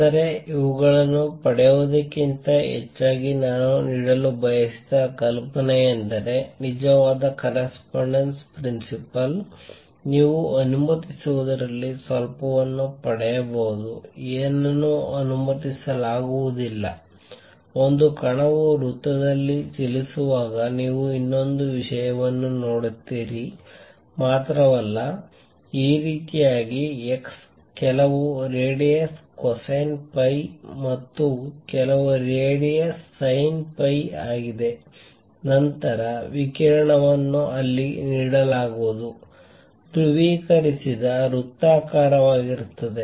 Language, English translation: Kannada, But the idea I wanted to do give rather than just deriving these is that true correspondence principle, you can get some inside into what is allowed; what is not allowed; not only that you see one more thing when a particle is moving in a circle, in this manner that x is some radius cosine phi and y is some radius sin phi, then the radiation will be given out there will be given out will be circular polarized